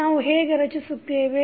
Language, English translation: Kannada, How we will construct